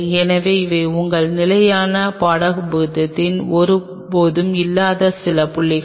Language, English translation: Tamil, So, these are some of the points which will never be part of your standard textbook